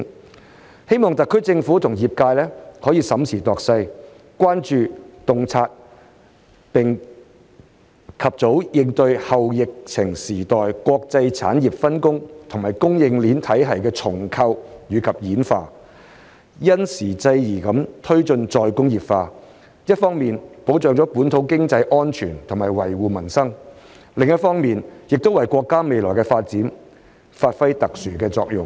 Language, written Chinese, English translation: Cantonese, 我希望特區政府與業界審時度勢，關注、洞察並及早應對"後疫情時代"國際產業分工和供應鏈體系的重構與演化，因時制宜地推進再工業化，一方面保障本土經濟安全和維護民生，另一方面亦為國家未來的發展發揮特殊的作用。, I hope that the SAR Government and the industries will monitor the latest situation and development attentively to identify and respond early to the restructuring and evolution of the international industrial division and supply chain systems in the post - pandemic era and promote re - industrialization in light of the circumstances so as to ensure local economic security and safeguard peoples livelihood while playing a special role in the future development of the country